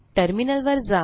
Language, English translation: Marathi, Lets go to Terminal